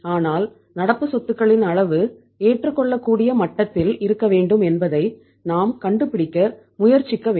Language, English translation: Tamil, But we should try to find out that the level of current assets should also be at the acceptable level